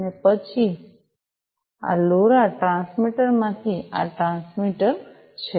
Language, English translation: Gujarati, And so then from this LoRa transmitter this is the transmitter right